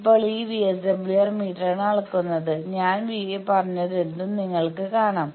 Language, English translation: Malayalam, Now, VSWR is measured by this VSWR meter, you can see whatever I said that VSWR meter front panel